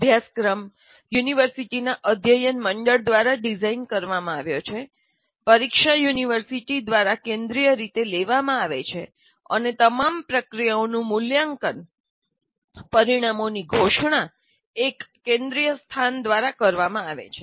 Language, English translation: Gujarati, Curculum is designed by Board of Studies of the University and then examination is conducted by the university centrally and then evaluation is done, the results are declared, everything, all the processes are done by the one central place